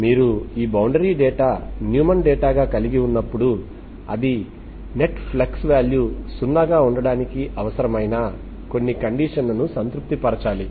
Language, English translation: Telugu, When you have when you have this boundary data as the Neumann data, so it has to satisfy some necessary condition that net flux should be 0